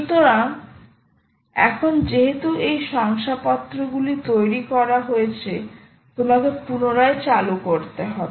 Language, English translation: Bengali, ok, so now that these certificates have been ah created, you will have to restart the demon